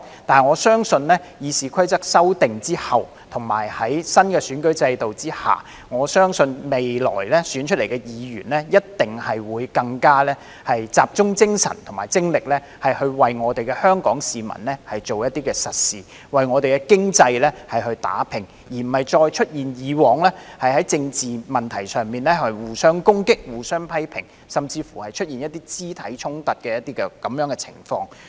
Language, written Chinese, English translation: Cantonese, 不過，我相信在修訂《議事規則》後，以及在新選舉制度下，未來選出的議員一定會更集中精神和精力為香港市民做一些實事、為香港的經濟打拚，而不會再出現以往在政治問題上互相攻擊、互相批評，甚至是一些肢體衝突的情況。, However I believe with the amended RoP and under the new electoral system Members to be elected in the future will definitely focus their mind and efforts on doing practical things for the people of Hong Kong and work hard on the economy of Hong Kong . We will no longer see Members attacking and criticizing each other or even having physical confrontations on political issues as they did before